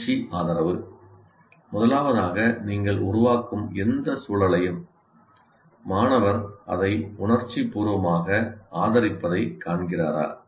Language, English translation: Tamil, First of all, whatever environment that you are creating, which is dominantly has to be created by the teacher, does the student find it emotionally supported